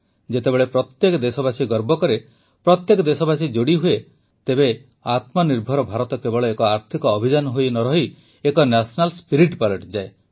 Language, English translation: Odia, When every countryman takes pride, every countryman connects; selfreliant India doesn't remain just an economic campaign but becomes a national spirit